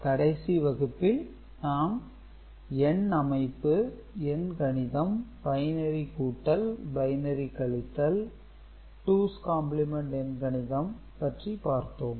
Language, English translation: Tamil, In the last class we have discussed number systems and arithmetic operation: binary addition, binary subtraction, 2’s complement arithmetic